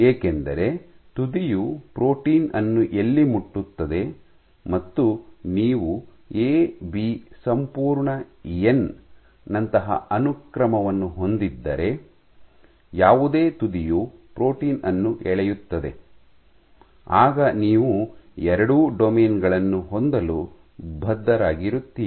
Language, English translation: Kannada, Because since you do not have control over where the tip touches the protein wherever your tip touches the protein if you have a, I have a sequence like A B whole n, whatever point the tip pulls the protein you are bound to have both the domains and we pulled up